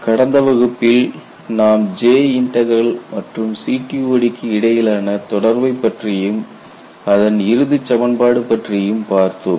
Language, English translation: Tamil, You know in the last class we had looked at a relationship between J integral and CTOD